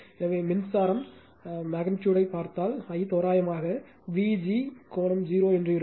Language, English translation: Tamil, So, if you see the current magnitude, I will be equal to V g approximate that angle is 0, V g angle 0 right